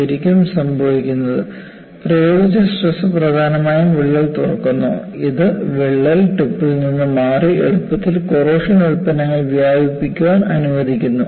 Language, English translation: Malayalam, What really happens is, the applied stress mainly opens up the cracks, allowing easier diffusion of corrosion products away from the crack tip